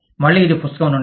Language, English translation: Telugu, Again, this is from the book